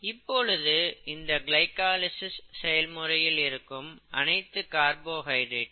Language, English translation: Tamil, If we look at this glycolysis, focus on glycolysis, all these are carbohydrates, fine